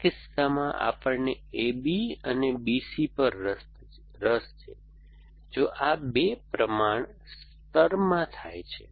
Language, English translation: Gujarati, In our case, we are interested in on A B and on B C, if these 2 occur in a proportion layer